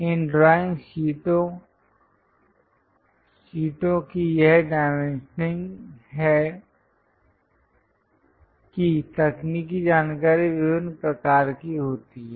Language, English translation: Hindi, This dimensioning of these drawing sheets are the technical information is of different kinds